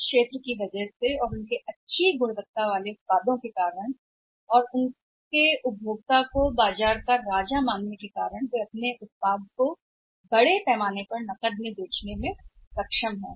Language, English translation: Hindi, So, because of their discipline because of their excellence because of their good quality product and because of their say considering the customer is King their able to sell of their product largely their products on cash